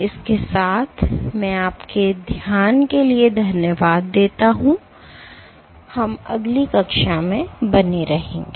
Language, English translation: Hindi, With that I thank you for your attention and we will continue in next class